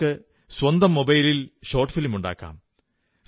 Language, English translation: Malayalam, You can make a short film even with your mobile phone